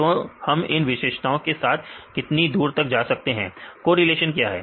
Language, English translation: Hindi, Then how far we can with this features; what is the correlation